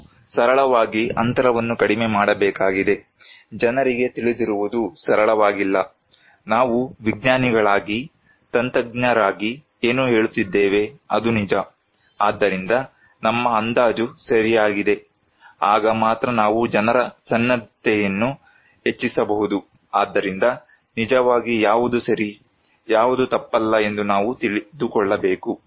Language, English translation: Kannada, We need to simply reduce the gap, we need to tell people that what they know is not simply true, what we are telling as a scientist, as an expert is true so, our estimation is the right, only then we can enhance people's preparedness so, actually we should know what is right, what is not wrong